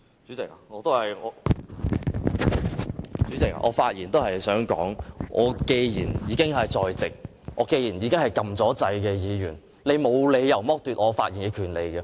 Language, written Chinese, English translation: Cantonese, 主席，我發言也是想說，我既然已經在席，我既然是已經按下按鈕的議員，你沒有理由剝奪我發言的權利。, President I also wish to say that since I am in the Chamber and since I am a Member who has pressed the button you have no reason to deprive me of my right to speak